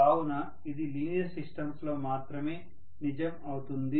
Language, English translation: Telugu, So only in linear system this is going to be true